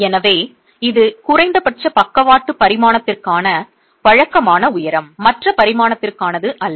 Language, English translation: Tamil, So that's typically height to least lateral dimension, not the other dimension